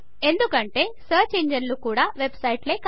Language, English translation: Telugu, After all, search engines are websites too